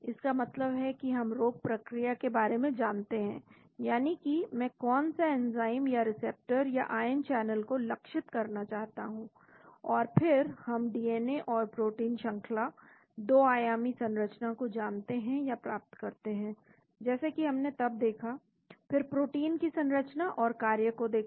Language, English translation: Hindi, That means we know the disease mechanism, you know which enzyme I want to target or receptor or ion channel then we get the or determine DNA and protein sequence, Two dimensional sequence like we looked at then look at the elucidate structure and function of the protein